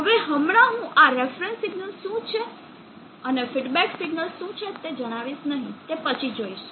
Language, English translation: Gujarati, For now I am not going to tell what is this reference signal and what is the feedback signal we will come to that later